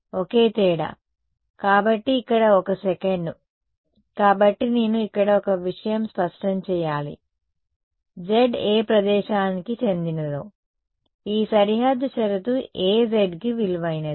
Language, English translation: Telugu, This guy, the only difference is; so over here 1 sec, so one thing I should make clear here z belongs to which place; this boundary condition is valued for which z